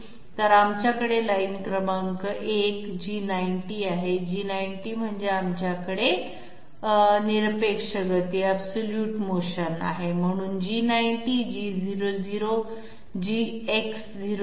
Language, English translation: Marathi, So we have line number 1 G90, G90 means that we are having absolute motion, so G90 G00 X00